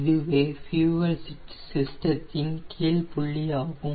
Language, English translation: Tamil, we this is the lowest point in the fuel system